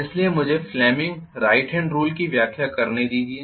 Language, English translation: Hindi, So let me explain fleming’s right hand rule